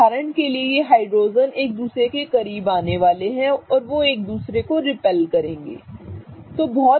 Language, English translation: Hindi, Okay, these two hydrogens for example are going to come closer to each other and they are going to start repelling each other